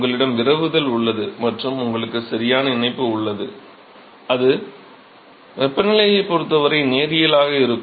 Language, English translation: Tamil, You have diffusion and you have connection right is it linear with respect to temperature